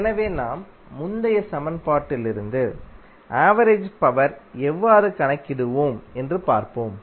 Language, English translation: Tamil, So, let us see how we will calculate the average power power from the previous equation which we derived